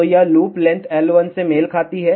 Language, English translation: Hindi, So, this loop corresponds to length L 1